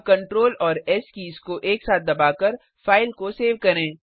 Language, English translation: Hindi, NowSave the file by pressing Control and S keys simultaneously